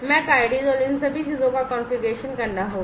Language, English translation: Hindi, The MAC ids and all these things will have to be configured